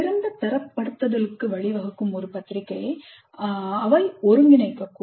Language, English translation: Tamil, They might synthesize a journal which leads to better grading